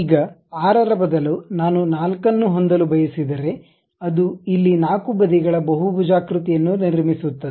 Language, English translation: Kannada, Now, instead of 6 if I would like to have 4, it construct a polygon of 4 sides here square